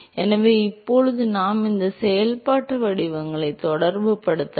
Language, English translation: Tamil, So now we can relate these functional forms